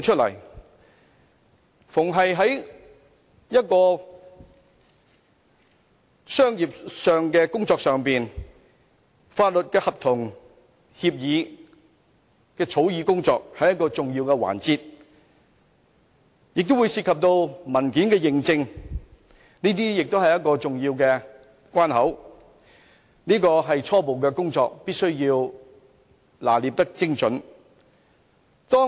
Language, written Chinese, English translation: Cantonese, 但凡商業上的法律合同、協議草擬工作，都是重要的環節，當中亦會涉及文件認證，這些都是重要關口，這些是必須拿捏精準的初步工作。, In doing commercial businesses the drafting of legal contracts and agreements and document certification are important preliminary procedures that need to be done accurately